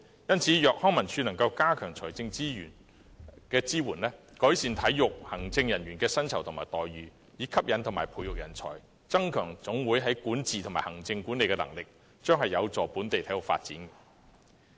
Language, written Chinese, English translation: Cantonese, 因此，康文署如能加強財政支援，改善體育行政人員的薪酬和待遇，以吸引和培育人才，增強總會的管治及行政管理能力，將有助本地體育發展。, For this reason if LCSD can enhance the financial support to improve the remuneration packages for sports administrators with a view to attracting and nurturing talents as well as strengthening the governance and administrative management capabilities of NSAs it will be conducive to the local sports development